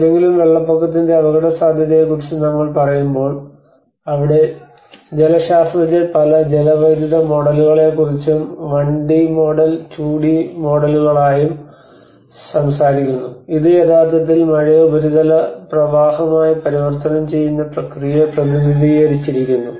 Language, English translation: Malayalam, So when we say about the hazard assessment of any floods that is where the hydrologist they talk about many hydrological models when it is a 1d model the 2d models and which actually talks about the represent the process by which rainfall is converted into the surface runoff